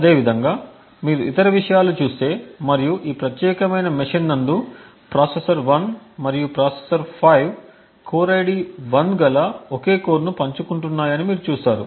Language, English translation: Telugu, Similarly, if you go through the other things and this particular machine you see that processor 1 and processor 5 are sharing the same core essentially the core ID 1 and so on